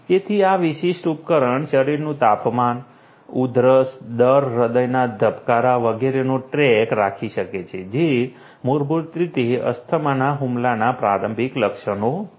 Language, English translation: Gujarati, So, this particular device can keep track of the body temperature, coughing rate, heart rate etcetera which are basically you know preliminary symptoms of an asthma attack